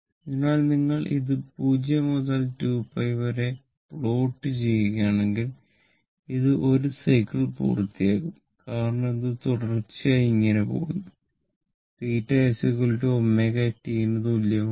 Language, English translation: Malayalam, So, if you plot it so, this is from 0 to 2 pi, it is completing 1 cycle right because this is going like this and going like this and continuous it continuous and theta is equal to omega t right